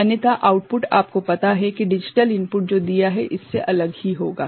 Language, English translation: Hindi, Otherwise, the output will be you know, something different from what the digital input is